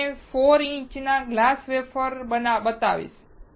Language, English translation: Gujarati, I will show you a 4 inch glass wafer